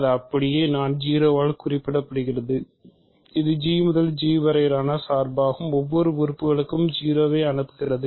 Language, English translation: Tamil, It is so, I will just denote by 0, it is a map from G to G sending every element to 0